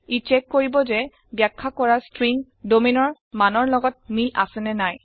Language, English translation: Assamese, This checks whether the specified string matches value of domain